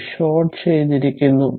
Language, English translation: Malayalam, So, this is short circuit